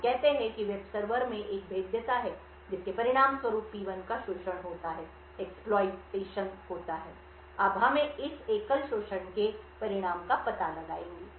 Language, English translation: Hindi, Let us say that there is a vulnerability in the web server as a result process P1 gets exploited, now we will trace the result of this single exploit